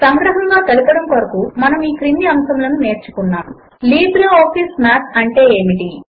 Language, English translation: Telugu, To summarize, we learned the following topics: What is LibreOffice Math